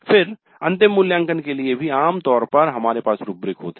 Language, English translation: Hindi, Then for final evaluation also generally we have rubrics